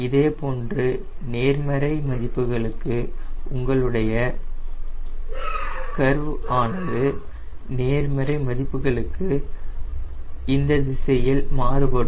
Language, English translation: Tamil, similarly, for positive value, your curve will shift in this direction